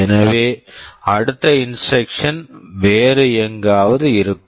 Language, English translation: Tamil, So, the next instruction will be from somewhere else